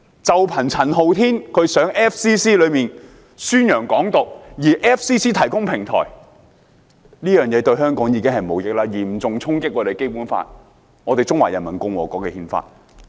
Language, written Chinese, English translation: Cantonese, 單是陳浩天到 FCC 宣揚"港獨"，而 FCC 提供平台，做法已經對香港無益，嚴重衝擊《基本法》及我們中華人民共和國的憲法。, The acts of Andy CHAN going to FCC to advocate Hong Kong independence and FCC providing a platform for him to do so have not benefited Hong Kong and have seriously contravened the Basic Law and the Constitution of the Peoples Republic of China